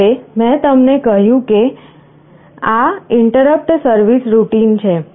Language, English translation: Gujarati, Now I told you this is the interrupt service routine